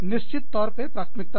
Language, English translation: Hindi, Prioritizing, of course